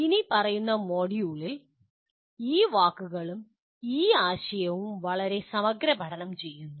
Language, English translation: Malayalam, We explore these words and this concept in the following module